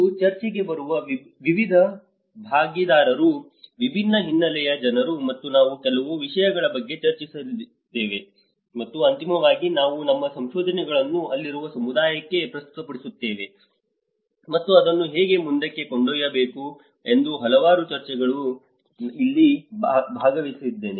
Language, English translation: Kannada, And I was also participated in number of discussions there with various different stakeholders coming into the discussion, people from different backgrounds and we did discussed on certain themes, and finally we also present our findings to the community present over there and how to take it forward